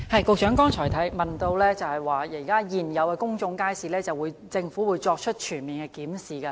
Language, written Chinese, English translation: Cantonese, 局長剛才提到，對於現有的公眾街市，政府會作出全面檢視。, The Secretary said earlier that the Government would conduct a comprehensive review of existing public markets